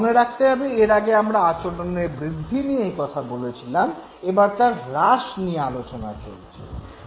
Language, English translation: Bengali, Now we are not talking of increase in the behavior rather now we are talking about decrease in the behavior